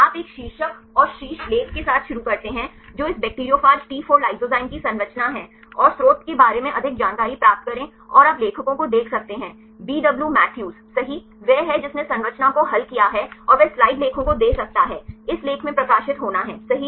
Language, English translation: Hindi, You start with a title and header this is structure of this bacteriophage T4 lysozyme and the get the more information regarding the source and you can see the authors right BW Matthews he is the one who solved the structure and he give the reference journal articles, can be published in this article right